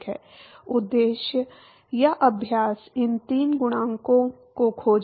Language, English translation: Hindi, The objective or the exercise is to find these 3 coefficients